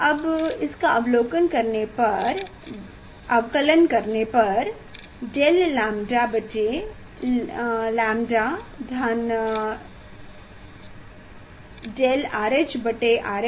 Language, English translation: Hindi, now differentiate it del lambda by lambda equal to del R H by R H what is del lambda by lambda